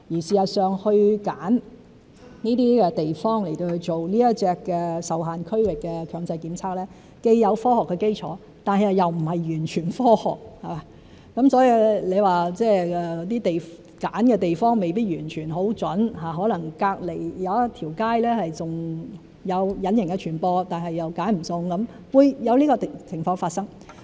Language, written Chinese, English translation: Cantonese, 事實上，揀選這些地方做這種"受限區域"強制檢測，既有科學基礎，但又並非完全科學，所以你說揀選的地方未必完全很準確，可能隔鄰一條街還有隱形傳播，但又選不中，是會有這種情況發生。, In fact the selection of these places as restricted area for compulsory testing has a scientific basis but it is not purely scientific . Hence you may say that the place selected is not entirely accurate as invisible transmission may occur in the next street which has not been selected . This may happen